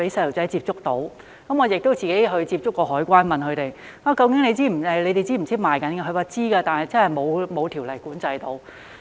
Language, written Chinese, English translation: Cantonese, 我自己亦接觸過海關，問究竟是否知道電子煙正在出售，他們表示知道，但是真的沒有條例管制。, I have contacted the Customs and Excise Department and asked if they were aware that e - cigarettes were being sold and they said they were but there was really no legislation to regulate them